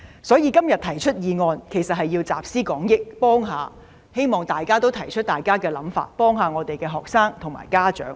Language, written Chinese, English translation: Cantonese, 所以，我今天動議這議案其實是要集思廣益，希望大家都提出想法，幫助學生及家長。, In fact I move this motion today so that we can put our minds together in the hope that Members can give suggestions to help students and parents